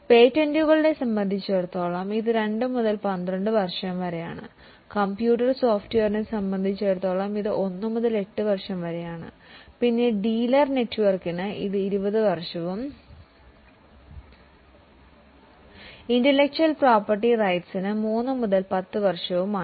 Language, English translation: Malayalam, So, for patents it is 2 to 12 years, for computer software it is 1 to 8 years, then for dealer network it is 20 years and for intellectual property rights it is 3 to 10 years